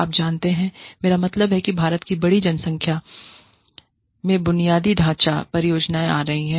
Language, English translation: Hindi, You know, I mean, a large number of infrastructure projects, are coming up in India